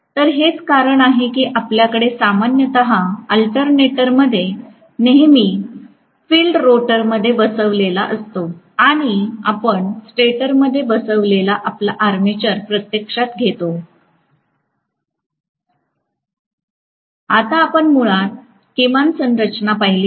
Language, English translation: Marathi, So that is the reason why we normally have in the alternator always the field sitting in the rotor and you are going to have actually your armature sitting in the stator